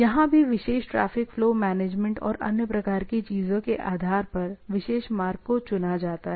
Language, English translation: Hindi, Here also, if the particular path is chosen based on the, based on the overall traffic flow management and other type of things, right